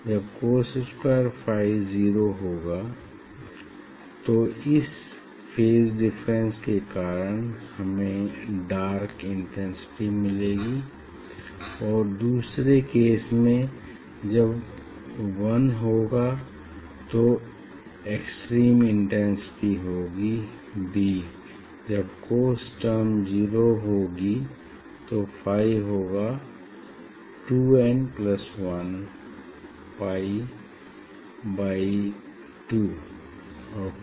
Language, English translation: Hindi, when cos square phi will be 0, then due to this phase difference at this point will get dark extreme intensity that is dark and other case one extreme intensity will get that is b ok, so when 1